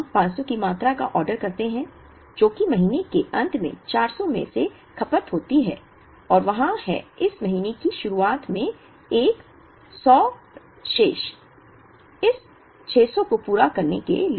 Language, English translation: Hindi, We order a quantity of 500, which is, out of which 400 is consumed at the end of the month and there is a 100 remaining at the beginning of this month, to meet this 600